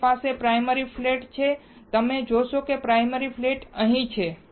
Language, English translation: Gujarati, I will have the primary flat, you see primary flat is here